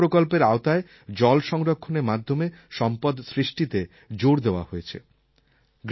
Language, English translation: Bengali, Under MNREGA also a stress has been given to create assets for water conservation